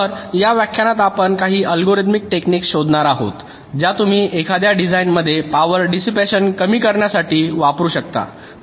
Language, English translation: Marathi, so in this lecture we shall be looking at some of the algorithmic techniques that you can use to reduce the power dissipation in a design